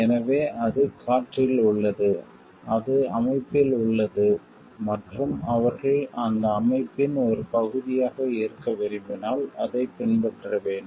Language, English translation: Tamil, So, that it is there in the air, it is there in the system and, they have to follow it if they want to be a part of that organization